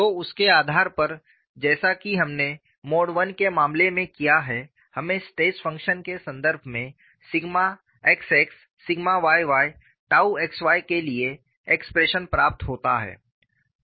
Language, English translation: Hindi, So, based on that as we have done for the case of mode 1, we get the expression for sigma xx sigma yy tau xy